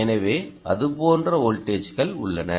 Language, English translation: Tamil, ok, ah, so voltages like that